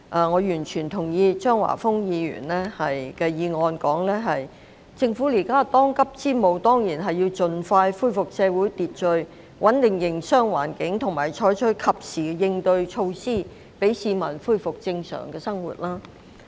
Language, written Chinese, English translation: Cantonese, 我完全認同張華峰議員的議案所提出，政府目前當務之急，當然是要盡快恢復社會秩序，穩定營商環境和採取及時應對措施，讓市民恢復正常的生活。, I fully agree with the views set out in Mr Christopher CHEUNGs motion that the Government should certainly as a top priority expeditiously restore public order stabilize the business environment and adopt timely countermeasures so that the public can return to their normal lives